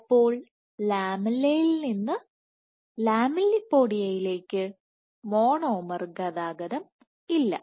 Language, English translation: Malayalam, So, there are no monomer transport from the lamella to the lamellipodia